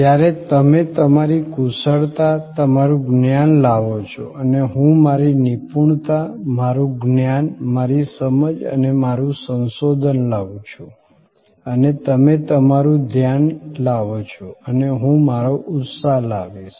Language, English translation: Gujarati, When you bring your expertise, your knowledge and I bring my expertise, my knowledge, my understanding and my research and you bring your attention and I bring my enthusiasm